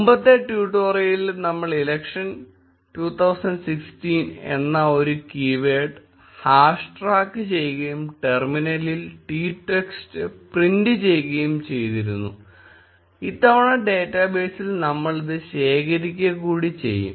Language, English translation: Malayalam, In the previous tutorial, we were tracking a keyword hash election 2016 and simply printing the tweet text in the terminal, this time additionally we will store this into the data base